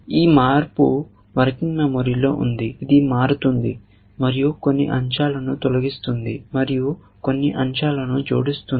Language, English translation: Telugu, This change is in working memory, its changing, is deleting a few elements and adding a few elements